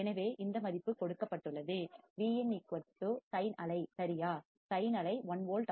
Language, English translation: Tamil, So, this value is given, V in equals to sin wave right, sin wave 1 volt